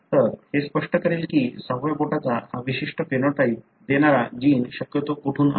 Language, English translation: Marathi, So, this would explain as to how from where possibly the gene that gave you this particular phenotype that is having sixth finger came in